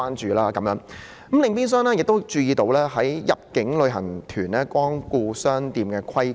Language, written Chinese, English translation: Cantonese, 此外，我亦注意到有關入境旅行團光顧商店的規管。, On the other hand I also notice the regulation of shops patronized by inbound tour groups